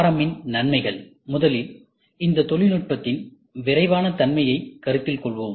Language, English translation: Tamil, The benefit of RM; first let us considered rapid character of this technology